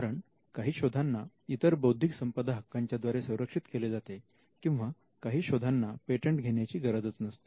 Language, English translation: Marathi, Because they could be inventions which could be protected by other means of rights, or they could be inventions which need not be patented at all